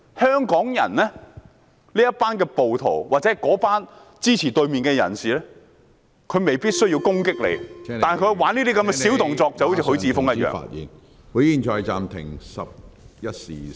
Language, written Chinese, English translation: Cantonese, 香港這群暴徒或支持對手的人士未必需要攻擊你，但他們可以作出這些小動作，正如許智峯議員般......, This bunch of rioters or supporters of the opponents in Hong Kong may not need to attack you but they can play these petty tricks just like Mr HUI Chi - fung